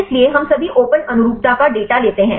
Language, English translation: Hindi, So, we take all the open conformation data